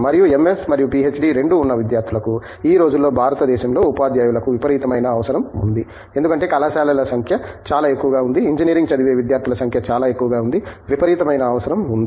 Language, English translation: Telugu, And, for students with both MS and PhD, these days there is a tremendous requirement for teachers in India today because, the number of colleges being so high, number of students studying Engineering being so high, there is a tremendous requirement